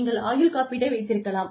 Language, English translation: Tamil, You could have life insurance